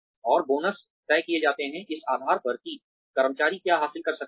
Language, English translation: Hindi, And, the bonuses are decided, on the basis of, what the employee has been able to achieve